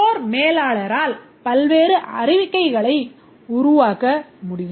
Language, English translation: Tamil, The manager of the store can generate various reports